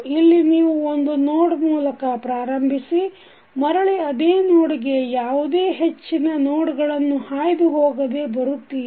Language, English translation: Kannada, This is one loop where you are starting from the same node and coming back to the same node without tracing the nodes more than once